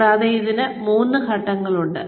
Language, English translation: Malayalam, And, there are three phases to this